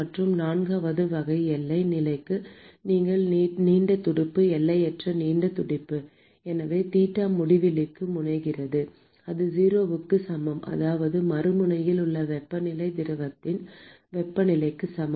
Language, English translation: Tamil, And for the fourth type of boundary condition where you have long fin infinitely long fin: so, theta at x tending to infinity that is equal to 0 that is the temperature at the other end is equal to the temperature of the fluid itself